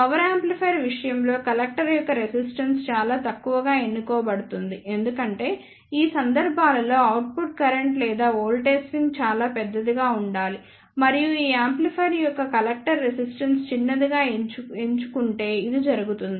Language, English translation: Telugu, In case of power amplifier the resistance of the collector is chosen relatively low because in these cases the output current or the voltage swing should be very large and which can happen if the collector resistance of these amplifier is chosen as a small